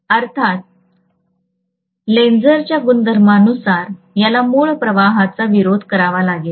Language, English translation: Marathi, So obviously by Lenz’s law this has to oppose the original flux